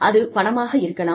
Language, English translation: Tamil, It is money